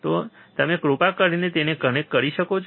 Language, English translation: Gujarati, So, can you please connect it